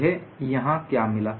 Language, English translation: Hindi, So, what I get here